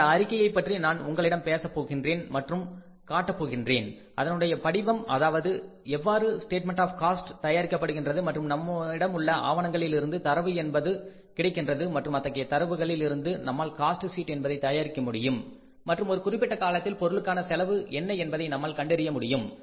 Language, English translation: Tamil, I talked to you, I showed you the statement the format that how the cost sheet is prepared, how the statement of the cost is prepared and we normally have the data from the internal records available with us and with the help of that data we can prepare the cost sheet and we can find out that what will be the cost of the product for the given period of time